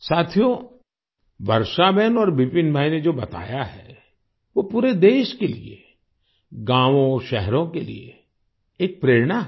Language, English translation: Hindi, Friends, what Varshaben and Vipin Bhai have mentioned is an inspiration for the whole country, for villages and cities